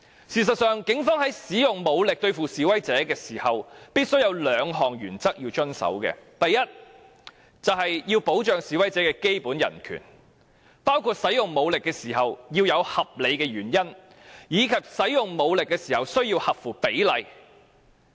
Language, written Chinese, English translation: Cantonese, 事實上，警方在使用武力對付示威者時，必須遵守兩項原則：第一，要保障示威者的基本人權，包括在使用武力時須有合理原因，而所使用的武力亦須合乎比例。, In fact when the Police use force against demonstrators they must abide by two principles . First they have to safeguard the basic human rights of demonstrators . This includes that the use force at that time is justified and the force used is proportional to the circumstances